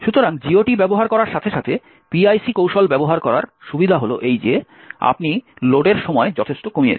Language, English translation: Bengali, So, the advantages of using PIC technique that is with using the GOT is that you have reduced the load time considerably